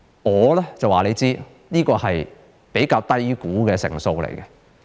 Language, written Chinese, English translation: Cantonese, 我可以告訴你，這是比較低估的數字。, I can tell you that this is an underestimated number